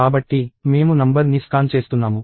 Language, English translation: Telugu, So, I am scanning the number